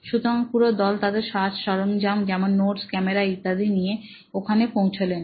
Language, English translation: Bengali, So, the entire team went with their paraphernalia, you know notes, camera and all that